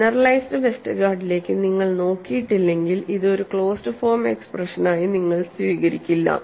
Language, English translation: Malayalam, Mind you if you are not looked at generalized Westergaard, you would still not accept this as a closed form expression